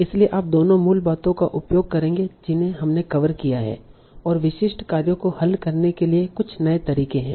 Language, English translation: Hindi, So we'll use both the basics that we have covered and some new methods for solving very specific tasks